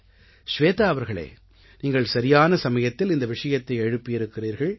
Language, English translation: Tamil, Shveta ji, you have raised this issue at an opportune time